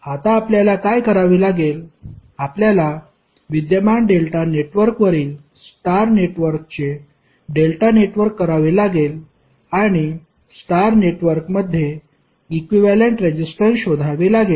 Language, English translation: Marathi, Now what you have to do; you have to superimpose a star network on the existing delta network and find the equivalent resistances in the star network